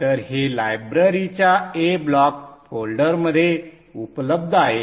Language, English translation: Marathi, So it is available in that a block folder of the library